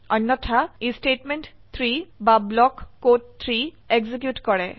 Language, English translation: Assamese, Else it executes statement 3 or block code 3